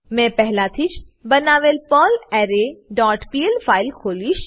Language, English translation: Gujarati, I will open perlArray dot pl file which I have already created